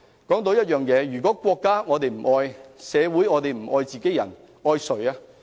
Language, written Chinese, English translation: Cantonese, 再說，如果我們不愛國家、不愛社會、不愛自己人，我們還愛誰？, Moreover if we do not love our country society and our fellow people who else do we love?